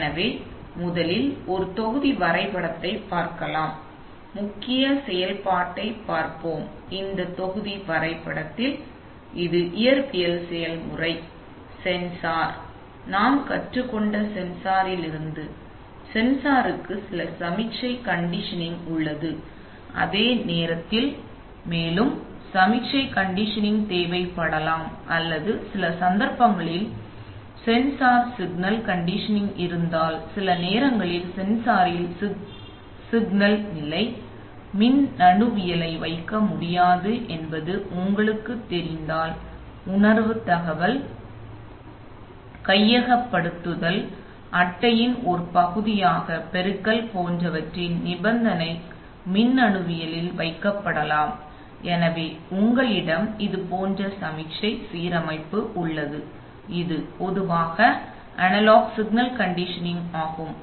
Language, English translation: Tamil, So, this is, in this block diagram, we have this physical process change of pen again, this is the physical process and then this is the sensor, up to this we actually understand, now from the sensor, now the, as we have understand, as we have learned, the sensor itself we have some signal conditioning but at the same time there may be further signal conditioning required or in some cases if the sensor signal conditioning, if you know if it is not possible to put signal condition electronics at the sensor sometimes, the sense the signal condition electronics by things like amplification can be put as part of the data acquisition card itself, so you have such signal conditioning here which is typically analog signal conditioning